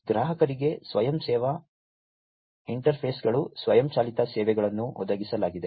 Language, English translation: Kannada, So, you know the customers are provided, self service interfaces, automated services and so on